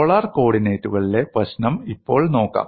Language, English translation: Malayalam, Now we look at the problem in polar co ordinates